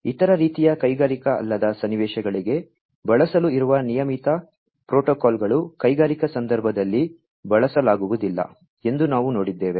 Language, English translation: Kannada, We have seen that the regular protocols that are there for use for other types of non industrial scenarios are not usable, for say, in the industrial context